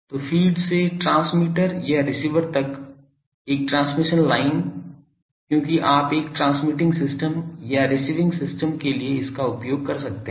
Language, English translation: Hindi, So, a transmission line from the feed to the transmitter or receiver because you are you may be using this for a transmitting system or a receiving system